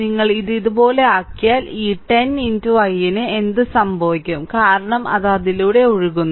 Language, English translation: Malayalam, So, if you make it like this then what will happen this 10 into i, because i is flowing through i is flowing let me clear it